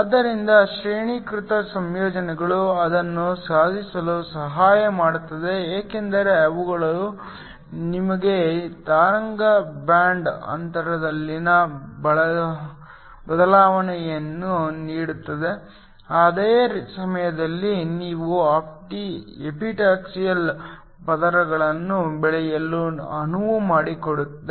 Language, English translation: Kannada, So, graded compositions help to achieve that because they give you the wave the change in the band gap, while at the same time allowing you to grow epitaxial layers